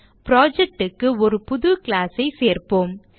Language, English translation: Tamil, Now let us add a new class to the project